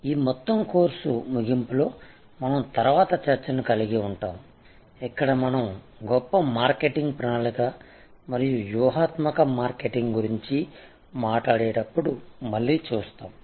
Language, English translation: Telugu, We will have a later discussion towards the end of this whole course, where we will again look at when we talk about creating the grand marketing plan and the tactical marketing